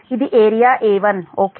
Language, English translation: Telugu, this is area a one right